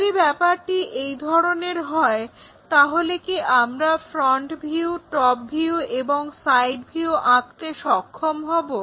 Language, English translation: Bengali, If that is the case can we be in a position to draw a front view, a top view, and a side view